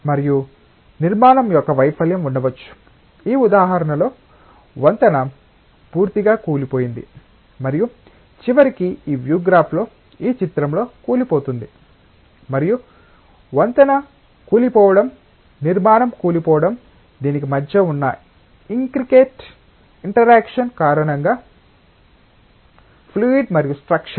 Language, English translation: Telugu, And there can be failure of the structure, in this example the bridge has totally collapsed and eventually it is going to collapse in this figure in this view graph, and that collapsing of the bridge collapsing of the structure is because of the intricate interaction between the fluid and the structure